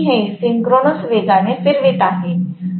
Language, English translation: Marathi, But I am going to rotate this at synchronous speed